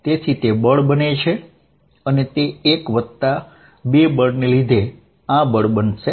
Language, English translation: Gujarati, So, this is going to be force due to 1 plus force due to 2